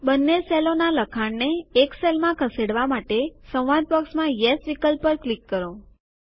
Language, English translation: Gujarati, In order to move the contents of both the cells in a single cell, click on the Yes option in the dialog box which appears